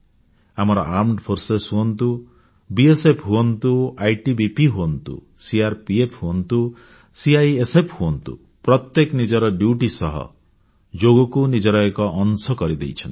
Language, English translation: Odia, Whether it is our armed forces, or the BSF, ITBP, CRPF and CISF, each one of them, apart from their duties has made Yoga a part of their lives